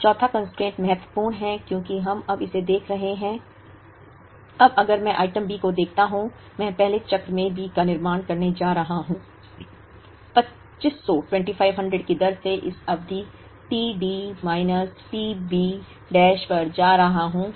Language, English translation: Hindi, Now, the fourth constraint is important, because we are now looking at this, now if I look at item B, I am going to in the first cycle I am going to produce B up to this period t D minus t B dash at the rate of 2500